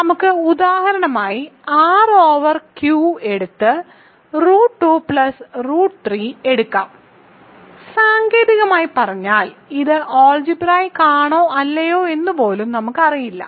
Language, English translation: Malayalam, So, let us take for example, R over Q and let us take root 2 plus root 3, technically speaking we do not even know if it is algebraic or not yet